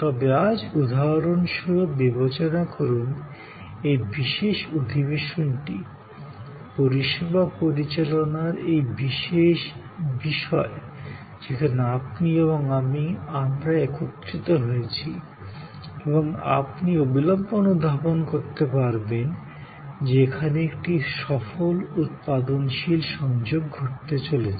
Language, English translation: Bengali, But, today take for example, this particular session, which we are having, this particular topic on service management, where you and I, we are coming together and you can immediately perceived that here a successful productive engagement will happen